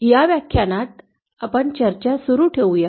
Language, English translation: Marathi, In this lecture let us continue with the discussion